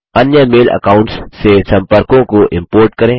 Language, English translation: Hindi, Import contacts from other mail accounts